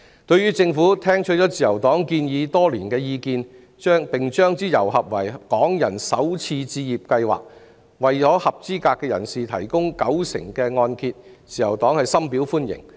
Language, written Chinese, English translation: Cantonese, 對於政府聽取了自由黨提出多年的建議，並將之揉合為港人首次置業計劃，為合資格人士提供九成按揭，自由黨深表歡迎。, Having listened to the proposals raised by the Liberal Party over the years the Government subsequently combined them into the Starter Homes Scheme to provide qualified people with a 90 % mortgage plan the Liberal Party greatly welcomes it